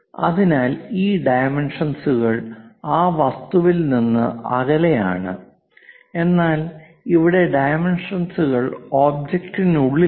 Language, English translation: Malayalam, So, these dimensions are away from that object, but here the dimensions are within the object